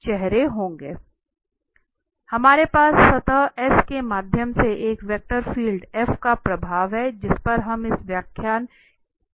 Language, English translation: Hindi, Okay, so having that we have the flux of a vector field F through a surface S which we will discuss here in this lecture